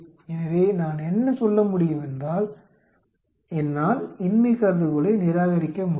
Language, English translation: Tamil, So, what I can say is I can reject the null hypothesis